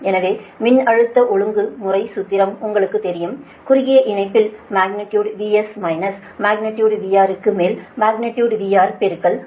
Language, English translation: Tamil, so voltage regulation formula, you know for your what you call for short line, right, it is magnitude v s minus magnitude v r upon magnitude v r in to hundred